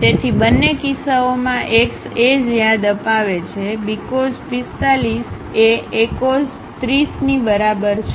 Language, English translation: Gujarati, So, in both cases x remind same means, B cos 45 is equal to A cos 30